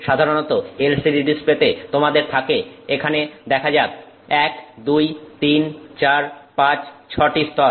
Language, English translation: Bengali, Generally in LCD displays you have let's see here one, 2, 3, 4, 5, 6 layers you have